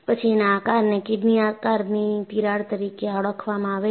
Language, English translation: Gujarati, And because of the shape, this is known as a kidney shaped crack